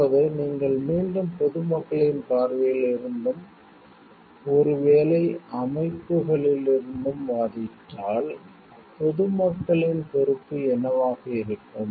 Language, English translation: Tamil, Now, if you argue again for the from the general public s perspective and maybe from the organizations also, they why then the what is the responsibility of the public at large